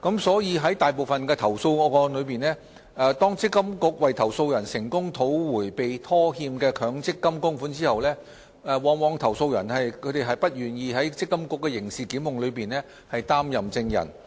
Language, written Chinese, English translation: Cantonese, 在大部分投訴個案中，當積金局為投訴人成功討回被拖欠的強積金供款後，投訴人往往不願意在積金局的刑事檢控中出任證人。, In most of the complaints after MPFA had successfully recovered the outstanding MPF contributions on behalf of the complainants the complainants were very often unwilling to appear in court as witnesses in MPFAs criminal prosecutions